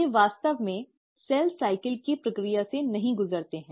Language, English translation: Hindi, They, in fact do not undergo the process of cell cycle